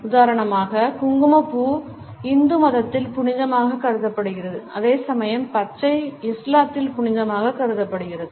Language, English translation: Tamil, For example, Saffron is considered sacred in Hinduism whereas, green is considered to be sacred in Islam